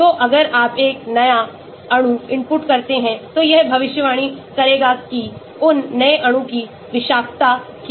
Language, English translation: Hindi, so if you input a new molecule, it will predict, what is the toxicity of that new molecule